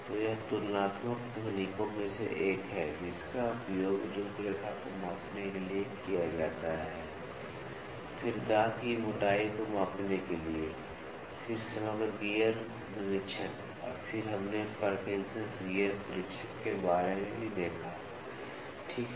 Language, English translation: Hindi, So, that is one of the comparative techniques, which is used to measure the profile, then measuring of tooth thickness, then, composite gear inspection, then, we also saw about the Parkinson gear tester, ok